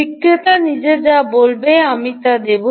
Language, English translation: Bengali, i will give you what the vendor himself says